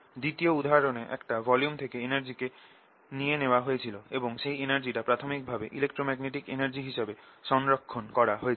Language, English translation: Bengali, in the other example, the energy was taken away from a volume and that energy initially was stored as electromagnetic energy